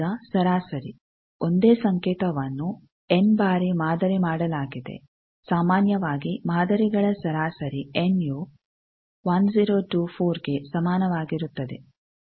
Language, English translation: Kannada, Now, averaging same signal is sampled for n number of times average of samples, typically n is equal to 1024 VNA samples are complex